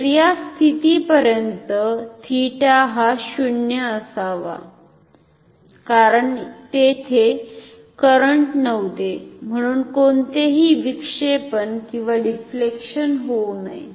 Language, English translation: Marathi, So, theta should be 0 up to this position because there was no current so there should be no deflection